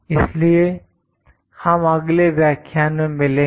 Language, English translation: Hindi, So, we will meet in the next lecture